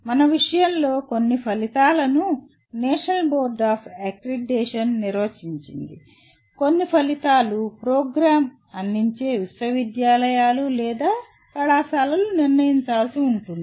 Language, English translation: Telugu, And in our case, some outcomes are defined by National Board of Accreditation; some outcomes are the universities or colleges offering the program will have to decide